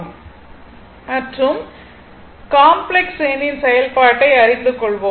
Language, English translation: Tamil, You know the operation of complex number, right